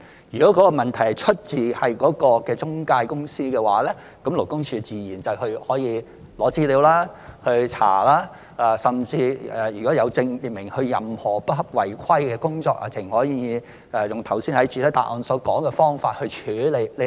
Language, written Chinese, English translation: Cantonese, 如果問題出自中介公司，勞工處自然會索取資料和調查，如果證明有關公司有任何違規的行為，更可直接用剛才在主體答覆所說的方法處理。, If it is the problem of the EAs concerned LD will of course ask for information and conduct investigation . In case of any substantiated irregularities involving an EA LD may handle it directly in the way as stated in the main reply earlier